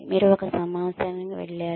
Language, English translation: Telugu, You went on a conference